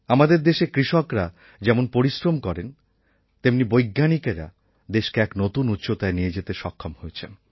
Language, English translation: Bengali, In our country, like the toiling farmers, our scientists are also achieving success on many fronts to take our country to new heights